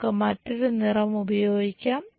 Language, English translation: Malayalam, Let us use other color